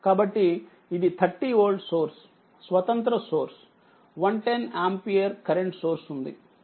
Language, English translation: Telugu, So, this is your a 30 volt source is there independent source, 110 ampere your current source is there